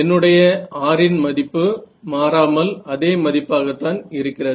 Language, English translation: Tamil, So, even my value of R does not change is this the same right